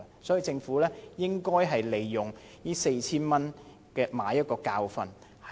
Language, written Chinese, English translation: Cantonese, 政府應該利用這次每人"派錢 "4,000 元來買一個教訓。, The Government should draw a lesson from the cash handout of 4,000 to each person